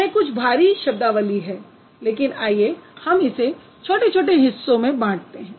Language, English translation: Hindi, It sounds a little heavy but let's break it into smaller parts